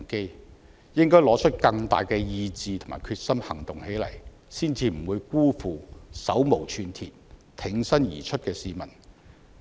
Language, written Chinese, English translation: Cantonese, 政府應該拿出更大的意志和決心行動起來，才不會辜負手無寸鐵、挺身而出的市民。, If the Government is to live up to the expectations of the unarmed and defenseless people who have stepped forward bravely it should act with greater determination and commitment